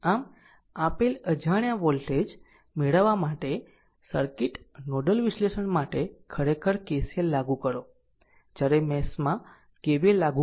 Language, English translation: Gujarati, So, for a given circuit nodal analysis actually we apply KCL, to obtain unknown voltage while mesh apply KVL